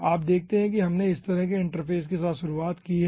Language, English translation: Hindi, you see, we have started with this kind of interface